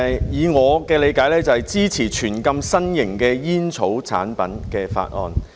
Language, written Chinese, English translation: Cantonese, 以我的理解，這是支持全面禁止新型煙草產品的法案。, As far as I understand it this is a bill which supports a total ban on novel tobacco products